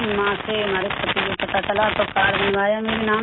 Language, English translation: Hindi, From there, my husband came to know and he got the card made in my name